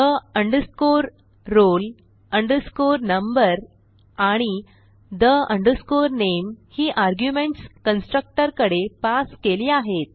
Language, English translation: Marathi, the roll number and the name are the arguments passed to the constructor